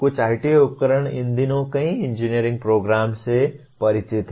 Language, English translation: Hindi, Some of the IT tools these days many engineering programs are familiar with